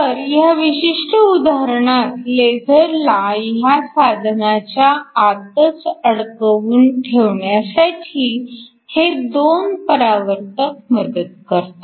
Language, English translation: Marathi, So, in this particular example the 2 reflectors help to confine the laser in the plain of the device